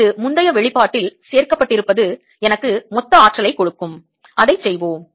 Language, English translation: Tamil, this add it to the previous expression will give me the total energy, and let us do that